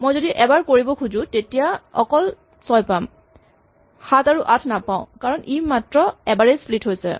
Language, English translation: Assamese, So, if I say I only wanted to do it once then I get the first 6, but then 7 and 8 does not get split because it only splits once